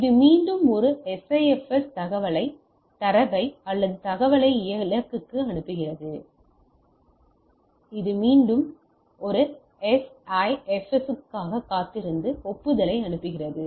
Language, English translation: Tamil, And, it again waits for a SIFS sends the data or the information to the destination and this waits again for a SIFS and sends the acknowledgement